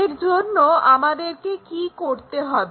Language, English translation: Bengali, So, what we have to do is